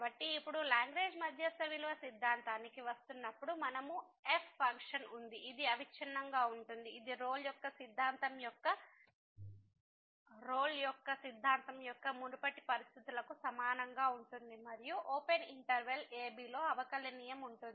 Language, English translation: Telugu, So, now coming to the Lagrange mean value theorem we have the function which is continuous similar to the previous conditions of the Rolle’s theorem and differentiable in the open interval